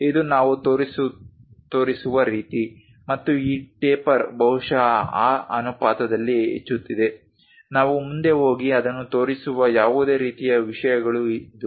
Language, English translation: Kannada, This is the way we show and this taper perhaps increasing in that ratio, this is the way any taper things we go ahead and show it